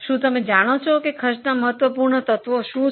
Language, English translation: Gujarati, Do you know what are the important elements of cost